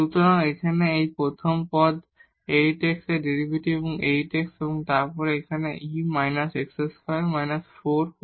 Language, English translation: Bengali, So, here this is 8 x the derivative of this first term 8 x and then here e power minus x square minus 4 y square